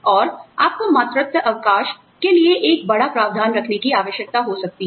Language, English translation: Hindi, And, you may need to keep a, larger provision for maternity leave